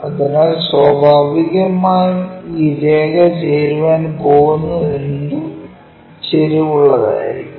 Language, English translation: Malayalam, So, naturally this line whatever it is going to join that will also be inclined